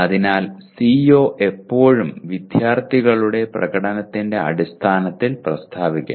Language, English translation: Malayalam, So CO always should be stated in terms of student performance